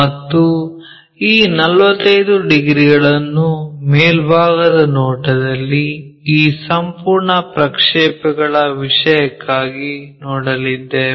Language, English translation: Kannada, And, this 45 degrees we will be going to see it for this complete projection thing on the top view